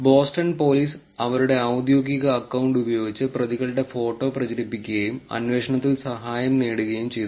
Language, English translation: Malayalam, The Boston police used its official account to spread the photograph of the suspects and got aid in their manhunt